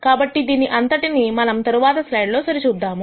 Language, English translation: Telugu, So, let us verify all of this in the next slide